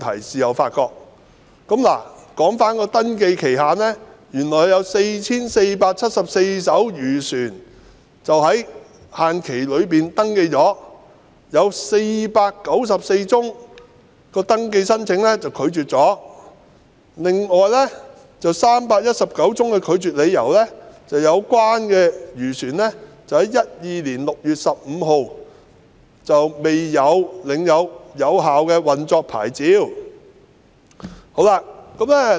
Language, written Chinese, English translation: Cantonese, 在登記期限內，有 4,474 艘漁船獲登記，並有494宗登記申請被拒絕，當中319宗的拒絕理由是有關漁船在2012年6月15日未領有有效的運作牌照。, During the registration period 4 474 vessels were registered and 494 applications for registration were rejected among which 319 were turned down on the grounds that the vessels concerned did not possess a valid operating licence on 15 June 2012